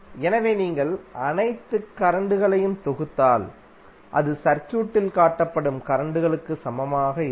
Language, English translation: Tamil, So if you sum up all the currents, it will be equal to current shown in the circuit